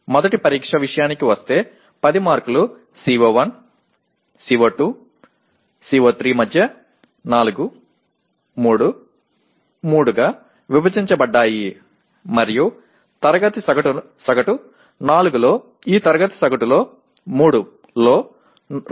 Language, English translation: Telugu, Okay coming to test 1, 10 marks are divided between CO1, CO2, CO3 as 4, 3, 3 and the class average out of 4 marks that are possible is 2